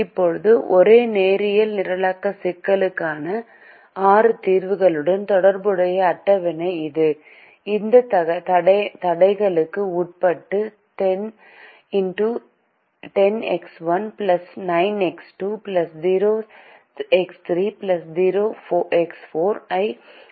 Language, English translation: Tamil, this is the table corresponding to the six solutions for the same linear programming problem, which maximize ten x one plus nine, x two plus zero x three plus zero x four